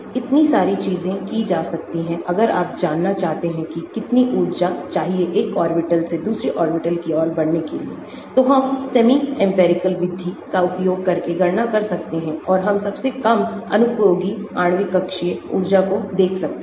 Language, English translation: Hindi, so many things can be done if you want to know what is the energy required from moving from one orbital to another orbital , we can calculate using semi empirical method and we can look at lowest unoccupied molecular orbital energy